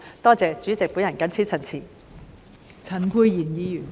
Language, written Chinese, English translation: Cantonese, 多謝代理主席，我謹此陳辭。, Thank you Deputy President I so submit